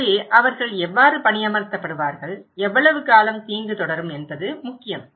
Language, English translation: Tamil, So, how will they be employed and how much and how long will the harm continue is important